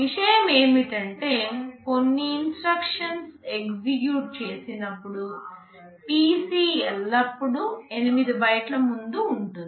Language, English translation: Telugu, The point is that when some instruction is executed the PC will always be 8 bytes ahead